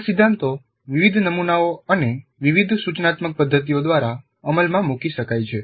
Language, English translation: Gujarati, These principles can be implemented by different models and different instructional methods